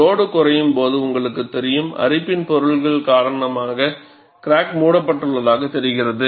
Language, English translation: Tamil, And when the load is reduced, you know, because of corrosion products, it appears as if the crack is closed